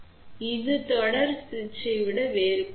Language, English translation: Tamil, So, this is different than series switch ok